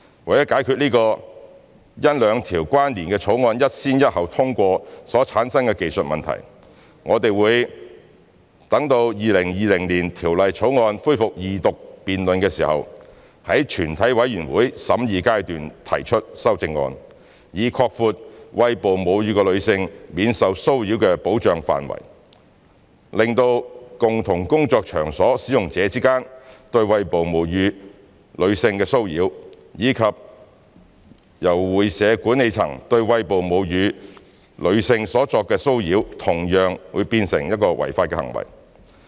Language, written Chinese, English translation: Cantonese, 為解決這個因兩項關連的法案一先一後通過所產生的技術問題，我們會待《條例草案》恢復二讀辯論時，於全體委員會審議階段提出修正案，以擴闊餵哺母乳的女性免受騷擾的保障範圍，令共同工作場所使用者之間對餵哺母乳女性的騷擾，以及由會社管理層對餵哺母乳女性所作的騷擾同樣變成違法行為。, To address this technical issue arising from the successive passage of two related bills we will propose CSAs upon resumption of the Second Reading debate on the Bill to expand the scope of protection from harassment of breastfeeding women by rendering both harassment of a breastfeeding woman between persons working in a common workplace and harassment of a breastfeeding woman by the management of a club unlawful